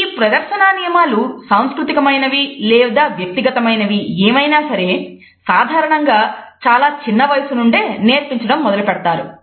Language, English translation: Telugu, These display rules whether they are cultural or personal are usually learnt at a very young age